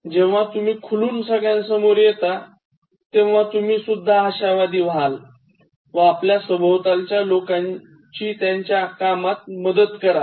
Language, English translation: Marathi, So, when you open up, you will also become optimistic and help the people around you to perform better